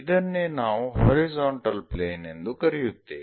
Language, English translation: Kannada, This is what we call a horizontal plane